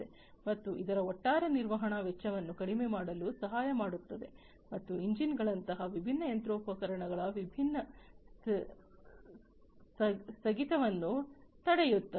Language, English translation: Kannada, And that this will help in reducing the overall maintenance cost, and preventing different breakdown of different machinery parts, such as engines